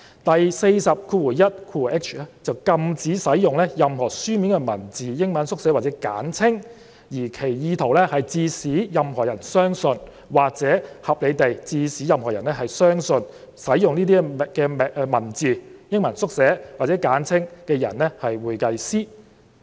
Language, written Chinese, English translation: Cantonese, 第 421hi 條則禁止使用"任何書面文字、英文縮寫或簡稱，而其意圖是致使任何人相信或可合理地致使任何人相信使用該等文字、英文縮寫或簡稱的人為會計師"。, Section 421hi prohibits the use of any written words initials or abbreviations of words intended to cause or which may reasonably cause any person to believe that the person using the same is a certified public accountant